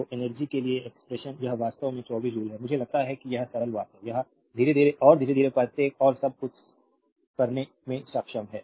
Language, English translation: Hindi, So, expression for energy transferred it is actually 24 joule, I think this is simple thing it is understandable to all of you right slowly and slowly you have to understand now each and everything